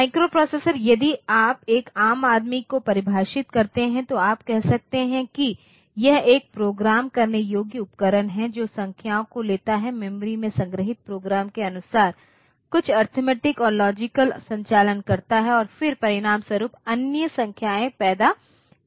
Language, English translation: Hindi, So, a microprocessor if you define to a layman, you can say that it is a programmable device that takes in numbers, perform some then arithmetic and logical operations according to the program stored in the memory and then produces other numbers as a result